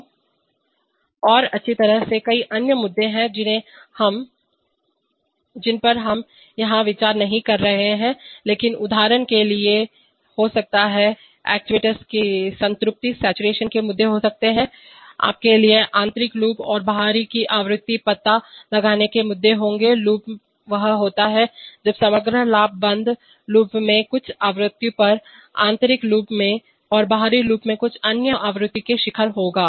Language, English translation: Hindi, So, and well there are several other issues which we are not going to consider here, but there may be for example, there may be issues of saturation of actuators, there will be issues of you know frequency detuning of the inner loop and the outer loop that is when the overall gain will peak at some frequency in the closed loop, in the inner loop and some other frequency in the outer loop